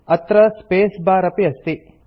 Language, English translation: Sanskrit, It also contains the space bar